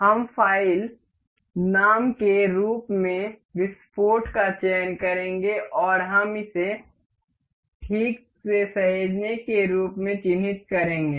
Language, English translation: Hindi, We will select explode as file name and we will mark it save ok